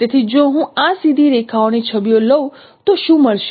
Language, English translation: Gujarati, So if I take the images of these straight lines what we will get